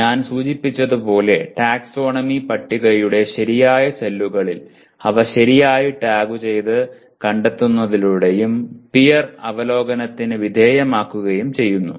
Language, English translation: Malayalam, As I mentioned by properly tagging and locating them in the proper cells of the taxonomy table and subjected to peer review as well